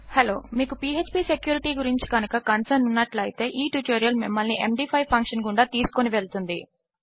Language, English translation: Telugu, If your concerned about php security, then this tutorial will take you through the MD5 function